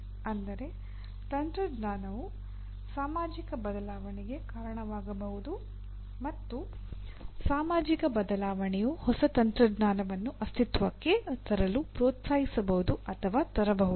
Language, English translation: Kannada, That means a technology can cause a societal change and a societal change can encourage or bring new technology into existence